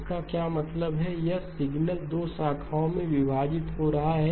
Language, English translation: Hindi, What that means is, that signal is getting split into 2 branches